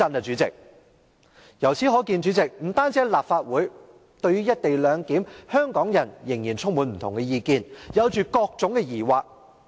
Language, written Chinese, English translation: Cantonese, 主席，由此可見，不單在立法會，香港人對"一地兩檢"仍然意見紛紜，抱着各種疑惑。, President it is thus clear that the co - location arrangement is controversial not only in the Legislative Council but also among Hong Kong people who still have diverse views and various doubts about it